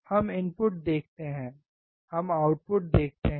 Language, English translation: Hindi, We see input; we see output